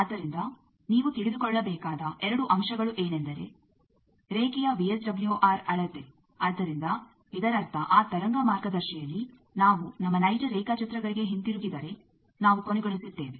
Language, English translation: Kannada, So, the two things you need to know measurement of VSWR of the line so; that means, in that wave guide depending on with which we have terminated means if we go back to our actual diagrams